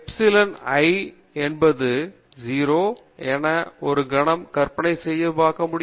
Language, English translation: Tamil, For a moment imagine that epsilon i is 0, what is epsilon i